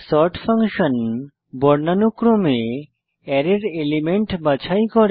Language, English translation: Bengali, sort function will sort the elements of an Array in alphabetical order